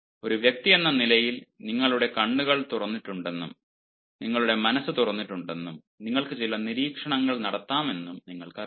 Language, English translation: Malayalam, you know, as an individual, you have your eyes open, ah, you have your mind open and and you can make certain observations